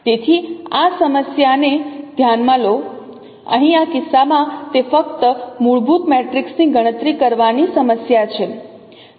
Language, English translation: Gujarati, So take this problem here in this case it is a problem of simply computing the fundamental matrix